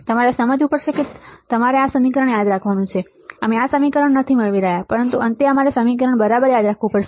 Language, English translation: Gujarati, You have to understand or you to remember this equation, we are not deriving this equation, but at last you have to remember this equation ok